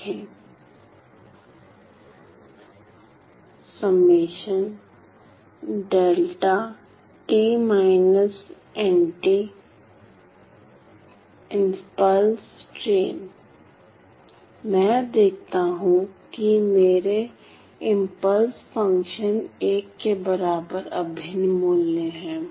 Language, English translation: Hindi, I see that my impulse functions have an integral value equal to 1